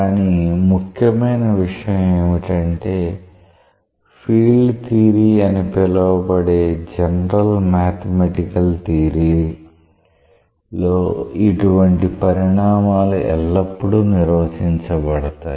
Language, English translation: Telugu, But important thing is that such quantities are always defined in a general mathematical theory known as field theory